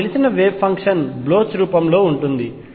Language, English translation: Telugu, The wave function I know is of the Bloch form